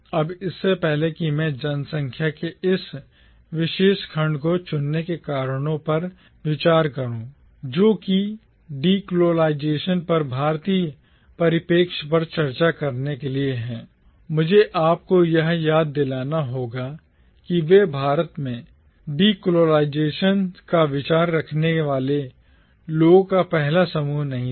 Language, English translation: Hindi, Now before I go into the reasons for choosing this particular section of the population to discuss the Indian perspective on decolonisation, I need to remind you that they were not the first group of people who came up with the idea of decolonisation in India